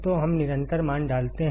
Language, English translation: Hindi, So, let us put the constant value